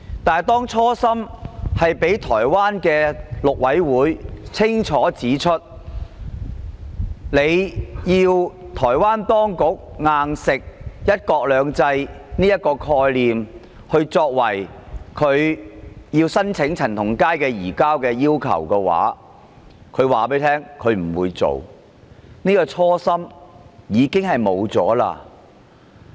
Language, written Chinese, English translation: Cantonese, 面對這初心，台灣的大陸委員會已清楚指出，如果要台灣當局"硬食""一國兩制"這個概念，作為申請移交陳同佳的要求，台方便不會提出申請，可見這初心便已經不存在了。, Concerning the original intent the Mainland Affairs Council of Taiwan had clearly pointed out that if Taiwan was forced to accept the idea of one country two systems as a requirement for requesting the surrender of CHAN Tong - kai the Taiwanese authorities would not make the request . It can thus be said that the original intent no longer existed